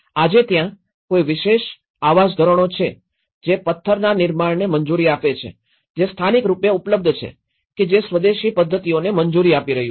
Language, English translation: Gujarati, Now, today are there any particular housing standards, which is allowing a stone construction which is locally available which is allowing an indigenous methods